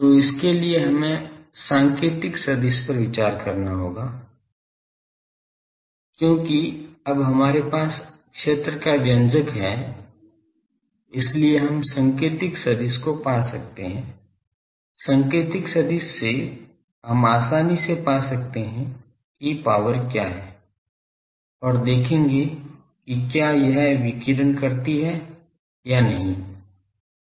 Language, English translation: Hindi, So, for that we will have to consider the pointing vector of this because now, we have field expression so we can find pointing vector, from pointing we can easily find what is the power and will see that it whether it radiates or not